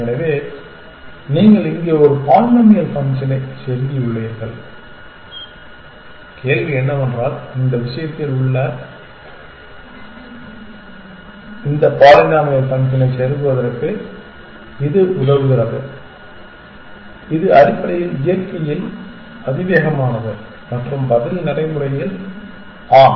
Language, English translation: Tamil, So, you have plugged in a polynomial function here and the question is does it help you have plugged in this polynomial function inside this thing which is basically exponential in nature and the answer is that yes in practice